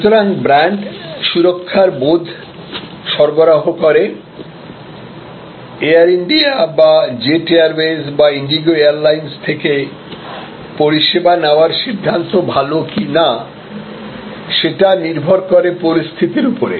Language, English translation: Bengali, So, brand delivers sense of security, that it is a good decision to buy this service from Air India or from jet airways or from indigo depending on the circumstances